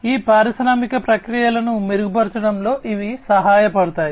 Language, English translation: Telugu, So, these will help in improving these industrial processes